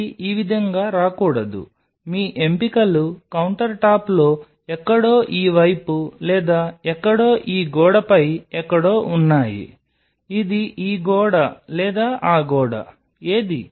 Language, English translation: Telugu, So, it should not come on this way, your options are on this counter top somewhere here in this side or somewhere on this wall somewhere it is this wall or that wall which one